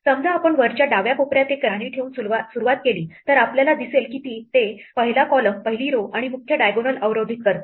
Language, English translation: Marathi, Supposing we start by putting a queen in the top left corner then we will see that it blocks out the first column, the first row and the main diagonal